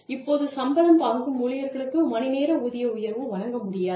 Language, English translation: Tamil, Now, people, who have salaries, cannot be given, an hourly pay raise